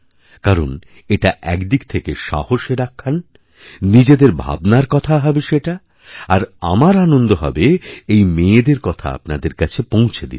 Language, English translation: Bengali, For this is a tale of heroism, a tale of personal experiences, and I would be happy to bring you the stories of these daughters